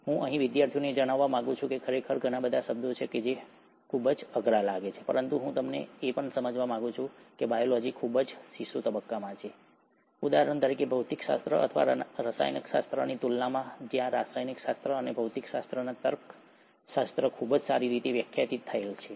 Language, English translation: Gujarati, I would like to bring out to the students here that indeed there are lot of terms which seem very difficult, but I would also like you to understand that biology is at a very infant stage, in comparison to, for example physics or chemistry, where the logics of chemistry and physics are very well defined